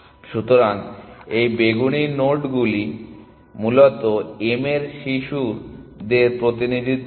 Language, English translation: Bengali, So, these purple nodes represent children of m essentially